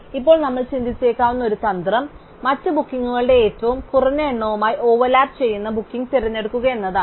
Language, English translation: Malayalam, So, one strategy now we might think of is to choose the booking that overlaps with the minimum number of other bookings